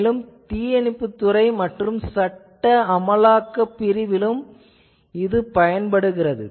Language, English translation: Tamil, Then communication by fire department and law enforcement agencies etc